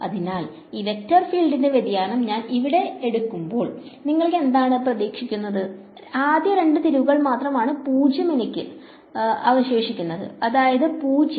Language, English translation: Malayalam, So, when I take the divergence of this vector field over here, what do you expect, only first two turns are 0 I am going to be left with this and which is 0